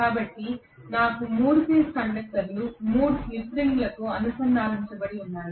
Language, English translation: Telugu, So I have 3 phase conductors being connected to 3 slip rings